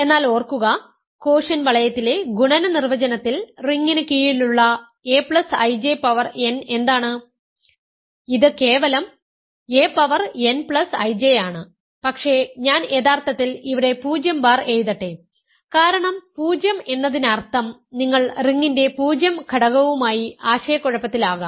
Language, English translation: Malayalam, But remember, what is a plus I J plus power n under the ring under the definition of multiplication in the quotient ring; this is simply a power n plus I J, but let me actually write 0 bar here because 0 means you might be confused with the 0 element of the ring